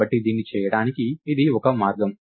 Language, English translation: Telugu, So, this is one way to do it